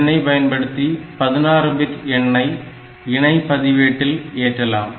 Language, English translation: Tamil, So, this is for loading 16 bit value onto some registered pair